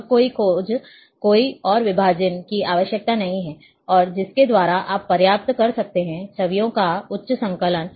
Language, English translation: Hindi, Now no search, no further divisions are required, and by which, you can achieve, the high compaction of the images